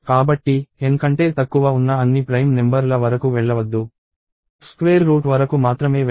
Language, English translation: Telugu, So, do not go till all the prime numbers less than N; go only till square root